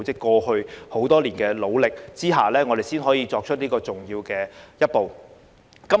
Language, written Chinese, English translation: Cantonese, 由於他們過去多年的努力，我們才可以踏出這重要的一步。, Thanks to their hard work over the years we have been able to take this important step forward